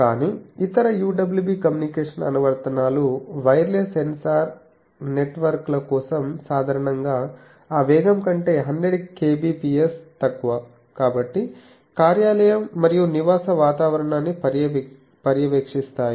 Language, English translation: Telugu, But, other UWB communication applications are for wireless sensor networks typically 100 kbps less than that speed, so monitoring office and residential environment